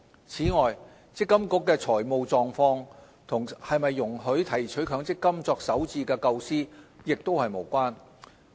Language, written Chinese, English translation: Cantonese, 此外，積金局的財務狀況與是否容許提取強積金作首置的構思也是無關。, Furthermore the financial situation of MPFA and whether withdrawal of MPF benefits should be allowed for first home purchase are two separate matters